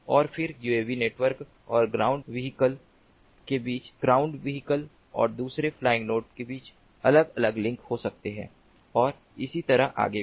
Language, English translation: Hindi, there can be different links: ah, between the uav network and the ground vehicle, between the ground vehicle and ah, another flying node and ah, ah, so on and so forth